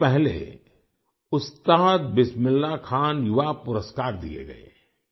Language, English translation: Hindi, A few days ago, 'Ustad Bismillah Khan Yuva Puraskar' were conferred